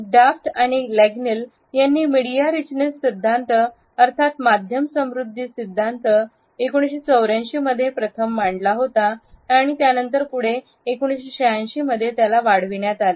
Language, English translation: Marathi, The media richness theory was proposed by Daft and Lengel in a paper in 1984 and then they further extended it in 1986